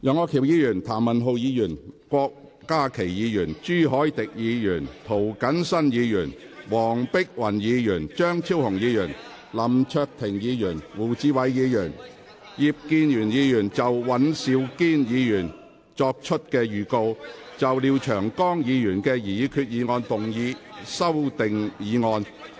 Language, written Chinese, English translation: Cantonese, 楊岳橋議員、譚文豪議員、郭家麒議員、朱凱廸議員、涂謹申議員、黃碧雲議員、張超雄議員、林卓廷議員、胡志偉議員、葉建源議員及尹兆堅議員亦已作出預告，就廖長江議員的擬議決議案動議修訂議案。, Mr Alvin YEUNG Mr Jeremy TAM Dr KWOK Ka - ki Mr CHU Hoi - dick Mr James TO Dr Helena WONG Dr Fernando CHEUNG Mr LAM Cheuk - ting Mr WU Chi - wai Mr IP Kin - yuen and Mr Andrew WAN have also given notice to move amending motions to Mr Martin LIAOs proposed resolution